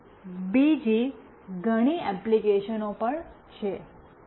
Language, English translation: Gujarati, And there are many other applications as well